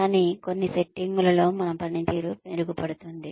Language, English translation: Telugu, But, in certain settings, our performance tends to get better